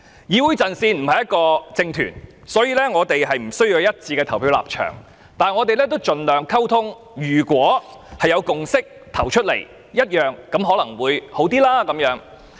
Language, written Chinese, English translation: Cantonese, 議會陣線不是一個政團，無須有一致的表決立場，但我們會盡量溝通，若能達成共識可能會好一點。, The Council Front is not a political grouping and does not need to reach a unanimous stance in voting . We will do our best to communicate and it would be nice if we can reach a consensus